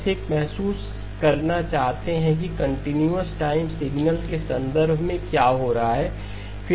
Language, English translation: Hindi, Just want to get a feel for what is happening in terms of the continuous time signal